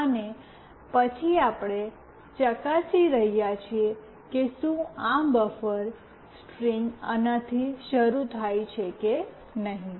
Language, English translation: Gujarati, And then we are checking if this buffer string starts with this or not